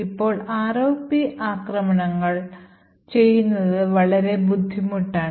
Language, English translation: Malayalam, Now ROP attacks are extremely difficult to do